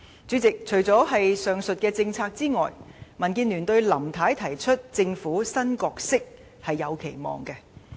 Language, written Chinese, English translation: Cantonese, 主席，除了上述政策之外，對於林太提出的政府新角色，民建聯也是有期望的。, President in addition to the above policies DAB also has expectations of the Governments new role as proposed by Mrs LAM